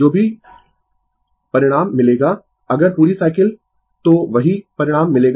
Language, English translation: Hindi, Whatever result you will get, if full cycles, you will get the same result right